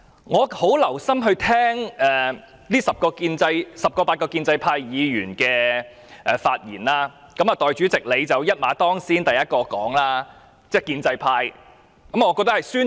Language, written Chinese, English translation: Cantonese, 我很留心聆聽這十位八位建制派議員的發言，代理主席一馬當先，是第一位發言的建制派議員。, I have listened very attentively to the speeches made by those 8 to 10 pro - establishment Members and among them the first to speak was Deputy President